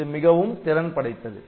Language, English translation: Tamil, So, that is quite efficient